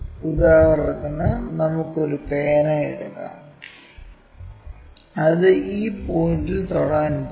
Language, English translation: Malayalam, For example, let us take a pen and that is going to touch this point